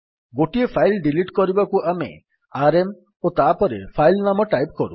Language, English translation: Odia, That is, to delete a single file we write rm and then the name of the file